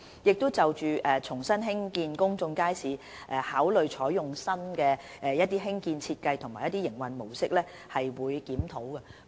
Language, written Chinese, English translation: Cantonese, 由於在重新興建公眾街市時，當局會考慮採用新的興建設計和營運模式，所以我們會進行檢視。, Since the authorities will adopt new construction design and modus operandi in resuming the construction of public markets reviews will be conducted